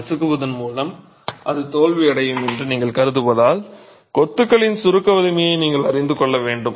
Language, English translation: Tamil, You need to know the compressive strength of the masonry because you can assume that it is going to fail by crushing